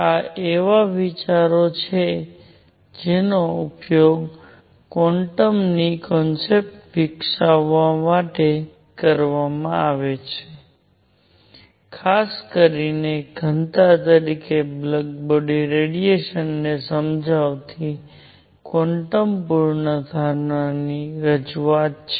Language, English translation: Gujarati, These are ideas that will be used then to develop the concept of quantum; introduction of quantum hypothesis explaining the black body radiation as specifically density